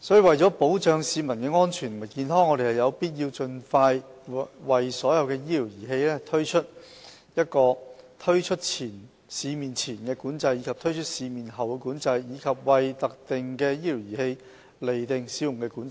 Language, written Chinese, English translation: Cantonese, 為保障市民安全和健康，我們有必要盡快為所有醫療儀器推行"推出市面前的管制"及"推出市面後的管制"，以及為特定的醫療儀器釐定"使用管制"。, To protect the safety and health of the public there is a pressing need to impose pre - market control and post - market control for all medical devices as well as use control for specific medical devices